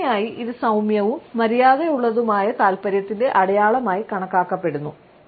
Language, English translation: Malayalam, Normally, it is considered to be a sign of mild and polite interest